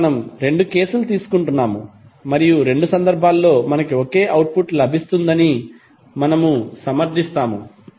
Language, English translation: Telugu, So we are taking both of the cases and we will justify that in both of the cases we will get the same output